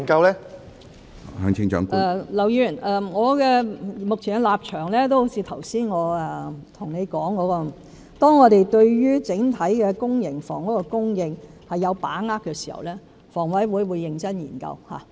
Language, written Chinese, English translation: Cantonese, 劉議員，正如我剛才對你所說，我目前的立場是，當我們對於整體公營房屋的供應有把握時，房委會會認真研究。, Mr LAU as I told you earlier my current position is that HA will seriously study the proposal when we become more confident about the overall PRH supply